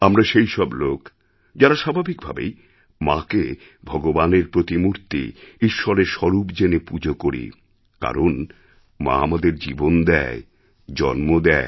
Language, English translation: Bengali, We are a people who, by nature, revere the Mother as the equivalent of god since she is the source of our very existence, our life